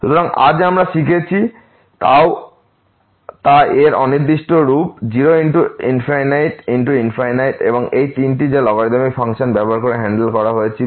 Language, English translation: Bengali, So, what we have learnt today the indeterminate form of 0 into infinity infinity into infinity and these three which were handle using the logarithmic function